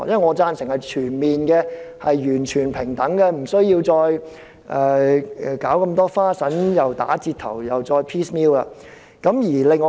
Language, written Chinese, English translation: Cantonese, 我贊成全面爭取完全平等的權利，不需要打折的權利或"斬件式"地處理問題。, I support the fight for full equal rights instead of partial rights or a piecemeal approach